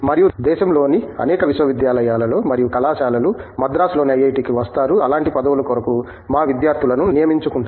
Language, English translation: Telugu, And, many universities and colleges from around the country do come to IIT, Madras, to recruit our students for such positions